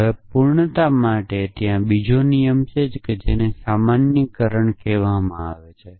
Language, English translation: Gujarati, Now, for a sake of completeness there another rule which is called generalization